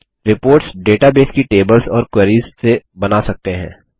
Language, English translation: Hindi, Reports can be generated from the databases tables or queries